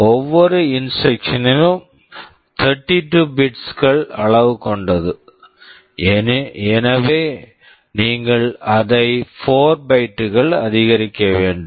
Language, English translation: Tamil, Each instruction is of size 32 bits, so you will have to increase it by 4 bytes